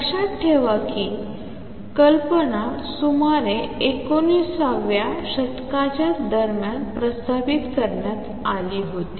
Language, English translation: Marathi, Keep in mind that the idea was proposed way back in around mid nineteen a tenths